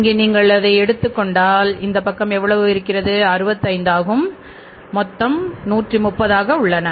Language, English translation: Tamil, Here how much it is this side if you take it as that it will work out as 65 and 65 is 130